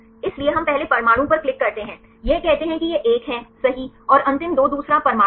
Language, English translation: Hindi, So, we click on the first atom right say this one right and last 2 are the second atom